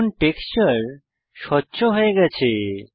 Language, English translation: Bengali, Now the texture has become transparent